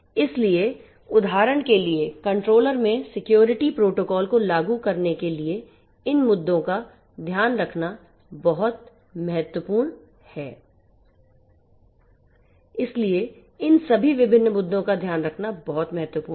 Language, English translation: Hindi, So, taking care of these issues implementing security protocols in the controller for instance is very important so, to get taking care of all these different issues is very important